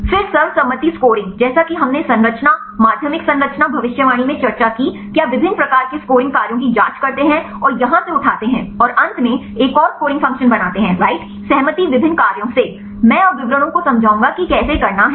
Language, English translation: Hindi, Then the consensus scoring as we discussed in the structure secondary structure prediction you check the different types of scoring functions and pick up from here and there finally, make the another scoring function, right consensus from different functions I will explain the details now how to do that